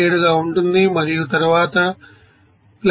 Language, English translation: Telugu, 97 and then + 2